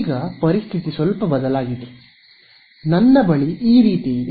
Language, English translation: Kannada, Right now the situation has changed a little bit, I have something like this